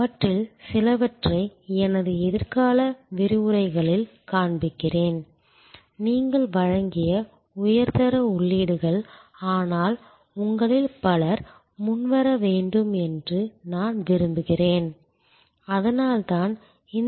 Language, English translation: Tamil, Some of those I will be showing in my future lectures, a kind of high quality input that you have provided, but I want many of you to come forward and that is why I am providing these templates